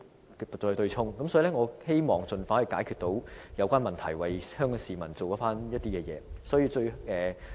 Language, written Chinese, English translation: Cantonese, 所以，我希望當局能夠盡快解決有關問題，為香港市民做事。, Therefore I hope the authorities can resolve the relevant problems as soon as possible and work for the people of Hong Kong